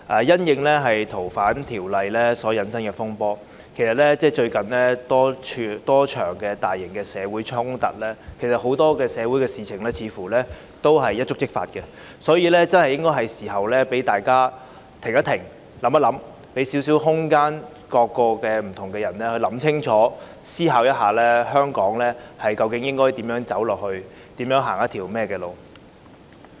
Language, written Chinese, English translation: Cantonese, 鑒於《逃犯條例》所引申的風波和近日多場大型社會衝突，社會上很多事也似乎會一觸即發，所以是時候讓大家"停一停，想一想"，給予不同人士空間想清楚，思考香港未來應如何走下去。, In view of the turmoil triggered off by the Fugitive Offenders Ordinance FOO and the recent series of large - scale clashes in society it seems that many things may happen at any moment in society . Therefore it is time for us to pause and think so as to give various parties room to clearly think about the way forward for Hong Kong